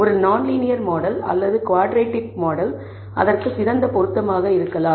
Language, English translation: Tamil, A non linear model or a quadratic model may be a better fit